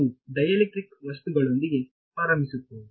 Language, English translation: Kannada, So, we will start with dielectric materials ok